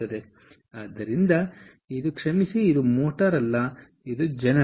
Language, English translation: Kannada, so this is a sorry, this is not a motor, this is a generator